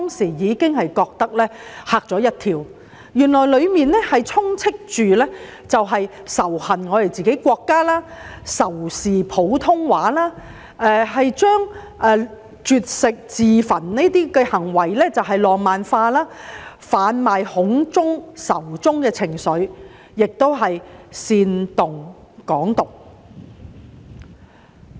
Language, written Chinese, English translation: Cantonese, 看完之後我大嚇一跳，因為戲內充斥仇恨自己國家、仇視普通話的情緒，將絕食自焚這種行為浪漫化，販賣恐中、仇中的情緒，而且煽動"港獨"。, It was a very shocking experience for me because the film is filled with the sentiment of hatred against our own country and Putonghua . It has romanticized such acts as hunger strike and self - immolation advocated a sense of fear of China and the sentiment of hatred against China and promoted the idea of Hong Kong independence